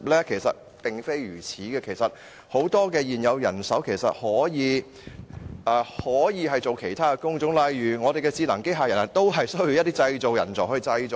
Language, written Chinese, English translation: Cantonese, 事實並非如此，很多現有人手可以從事其他工種，例如智能機器人也需要製造人才去製造。, This will not be the case as people may engage in other types of work for example people are also required for the production of intelligent robots